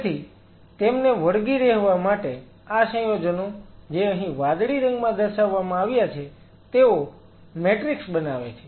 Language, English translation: Gujarati, So, in order for them to adhere these compounds which are shown in blue out here this forms a matrix